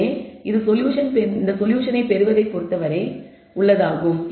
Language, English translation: Tamil, So, this is as far as getting the solution is concerned